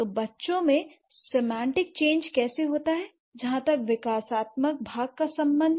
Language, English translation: Hindi, So how this semantic change happens as far as the developmental part is concerned for a child